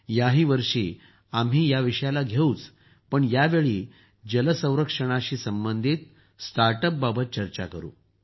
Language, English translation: Marathi, This time also we will take up this topic, but this time we will discuss the startups related to water conservation